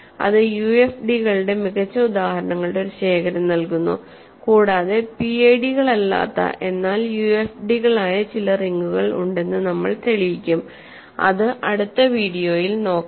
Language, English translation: Malayalam, So, that gives us a collection of nice examples of UFDs and we will prove that there are some rings which are not PIDs, but which are UFDs, so that is for the next video